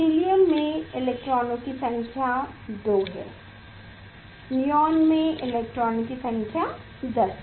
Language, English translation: Hindi, helium is the 2 number of electrons, neon 10 number of electrons